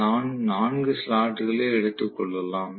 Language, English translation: Tamil, So, let me take maybe about 4 slots